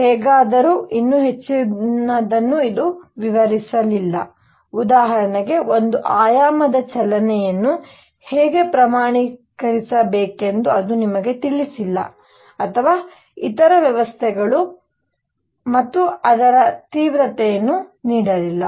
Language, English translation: Kannada, However, there was much more to be done did not explain, it did not tell you how to quantize one dimensional motion for example, or other systems and it did not give the intensity